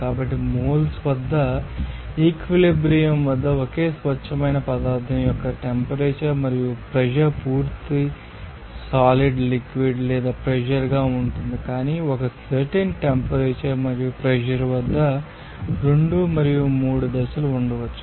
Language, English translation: Telugu, So, at moles, you know the temperature and pressure a single pure substance at equilibrium, it will exist entirely as a solid, liquid or gas, but at a certain temperature and pressure two and all three phases may, exist